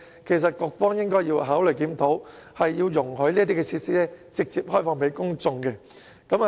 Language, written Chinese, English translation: Cantonese, 其實，局方應該考慮作出檢討，容許這些設施直接開放給公眾使用。, In fact the Bureau should consider reviewing this situation so that these facilities can be directly opened up for public use